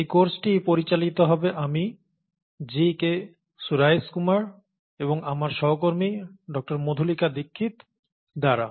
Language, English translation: Bengali, The course will be handled by me, G K Suraishkumar and my colleague, Dr